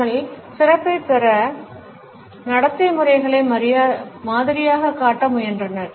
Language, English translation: Tamil, They were trying to model behavioural patterns to obtain excellence